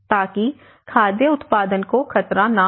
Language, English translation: Hindi, So that the food production is not threatened